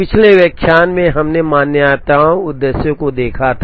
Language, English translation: Hindi, In the previous lecture, we had seen the assumptions, the objectives